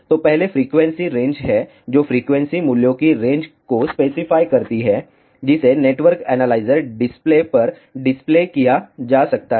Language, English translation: Hindi, So, first is the frequency range which specifies the range of frequency values, which can be displayed on to the network analyzer display